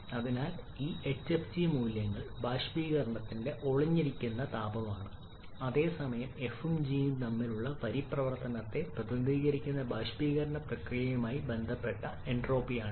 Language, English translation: Malayalam, So this hfg these values are the latent heat of vaporization whereas this is the entropy associated with the vaporization process representing the transition between f and g